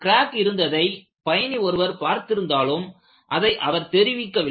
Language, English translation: Tamil, So, the passenger had noticed a crack, but he has not reported it